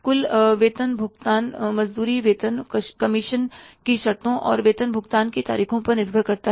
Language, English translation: Hindi, Payrolls depend on the wages, salaries, commission terms and payroll dates